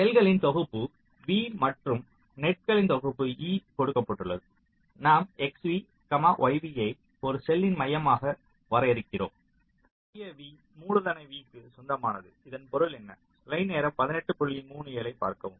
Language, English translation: Tamil, given a set of cells v in a set of nets e, we define x, v, y v to be the center of a cell v, there should be belongs to see this symbol has not come small v belongs to capital v